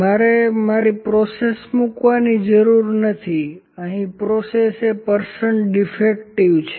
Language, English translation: Gujarati, I not need to put my process, here process is percent defective